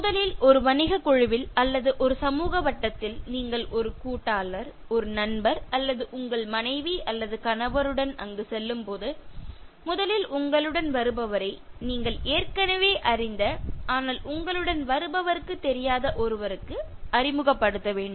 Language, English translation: Tamil, First either in a business group or in a social circle, When you are going there with a partner a friend or your wife or a husband you need to introduce the person who is accompanying you first to the one whom you know already but the person who is with you doesn’t know